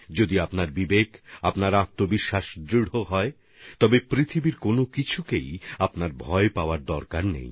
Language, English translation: Bengali, If your conscience and self confidence is unshakeable, you need not fear anything in the world